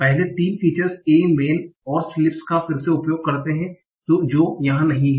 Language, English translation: Hindi, The first three features, again use a word A man in sleeps, that is not here